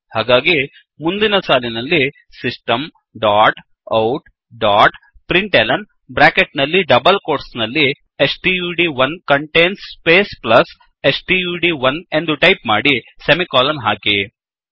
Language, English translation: Kannada, So, next line, type: System dot out dot println within brackets and double quotes stud1 contains space plus stud1 and then semicolon